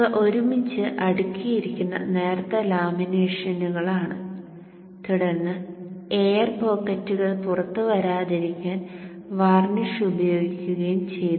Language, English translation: Malayalam, These are thin laminations stacked together and then varnish is applied to keep the air pockets out and these laminations are made of steel